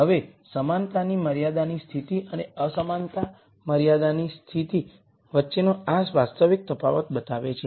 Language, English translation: Gujarati, Now this real di erences between the equality constraint condition and the inequality constrained situation shows up